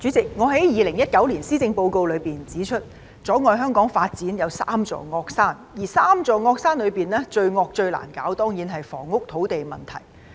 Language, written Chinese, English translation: Cantonese, 主席，我在2019年施政報告辯論中指出，阻礙香港發展有三座"惡山"，而三座"惡山"之中，最惡、最難處理的當然是房屋和土地的問題。, President in the debate on the 2019 Policy Address I pointed out that there are three evil mountains hindering the development of Hong Kong and among these three evil mountains certainly the housing and land problem is most evil and most difficult to deal with